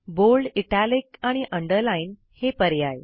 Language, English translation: Marathi, Bold, Underline and Italics options